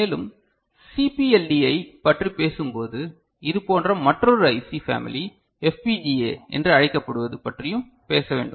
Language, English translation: Tamil, And when we talk about CPLD we should also talk about another such IC called family called, FPGA ok